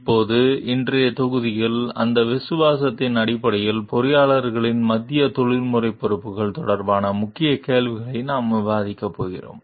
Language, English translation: Tamil, In today s module, we are going to discuss about the Key Questions related to the Central Professional Responsibilities of the Engineers